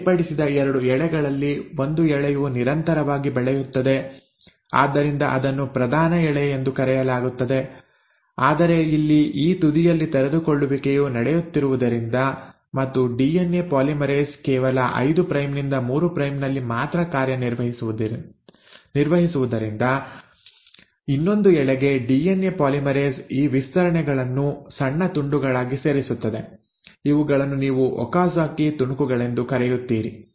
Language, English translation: Kannada, Of the 2 separated strands, one strand just grows continuously so that is called as the leading strand but since here the uncoiling is happening at this end and the DNA polymerase only works in 5 prime to 3 prime, for the other strand the DNA polymerase adds these stretches in small pieces, which is what you call as the Okazaki fragments